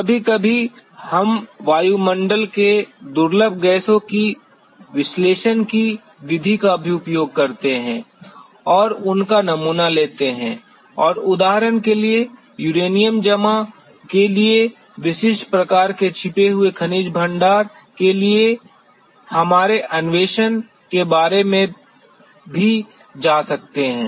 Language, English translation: Hindi, Sometimes we also use the method of analyzing the rare gases in the atmosphere and sample them and also can go about our exploration for hidden mineral deposits of specific types like, for example the uranium deposits